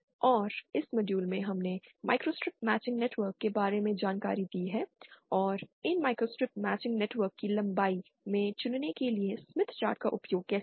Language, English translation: Hindi, And also in this module, we have covered about microstrip matching networks and how to use the Smith chart to opt in the lengths of these microstrip matching networks